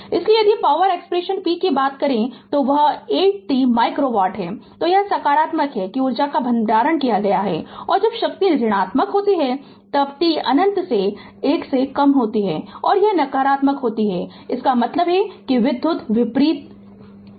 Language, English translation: Hindi, So, if you come to the power expression p that 8 t micro watt, so it is positive that means, energy is being stored and when power is negative when t greater than 1 less than infinity it is negative, that means power is being delivered